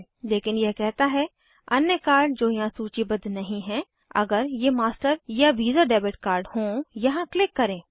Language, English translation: Hindi, But it says that for any other card not listed here if it happens to be visa or master debit card Click here